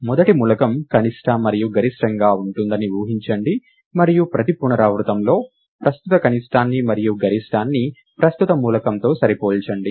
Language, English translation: Telugu, Assume that the first element is both the minimum and the maximum, and compare the current minimum and the maximum in every iteration with, the current element